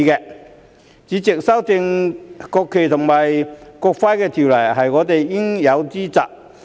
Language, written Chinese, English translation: Cantonese, 代理主席，修訂《國旗及國徽條例》是我們應有之責。, Deputy President amending the National Flag and National Emblem Ordinance NFNEO is our responsibility